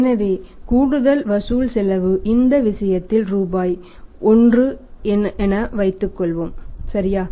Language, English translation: Tamil, So, additional collection cost say let assume here in this case is rupees 1 right